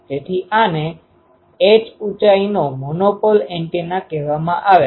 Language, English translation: Gujarati, So, the this is called a monopole antenna of height h okay